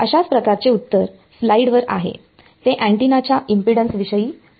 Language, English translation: Marathi, The sort of the answer is on the slide it is about the impedance of the antenna